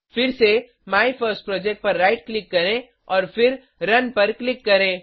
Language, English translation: Hindi, Again, right click on MyFirstProject and then click on Run